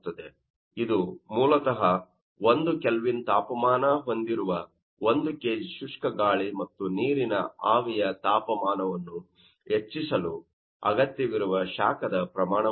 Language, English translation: Kannada, This is basically the amount of heat that is required to raise the temperature of 1 kg dry air to get its equilibrium, you know, water vapor or that contains by 1 kelvin